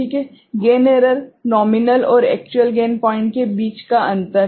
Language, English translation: Hindi, The gain error is the difference between the nominal and actual gain points